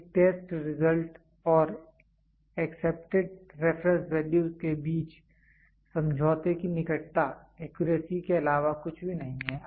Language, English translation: Hindi, The closeness of agreement between a test result and the accepted reference values is nothing, but accuracy